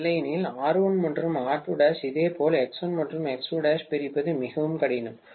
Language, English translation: Tamil, Otherwise R1 and R2 dash, similarly X1 and X2 dash, it would be very difficult to segregate